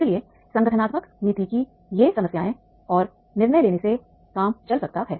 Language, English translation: Hindi, So therefore these problems of organization policy and decision making that can work